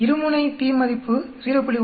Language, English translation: Tamil, The p value comes out to be 0